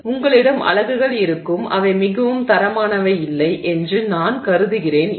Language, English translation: Tamil, So, you will have units which look, I mean not so very standard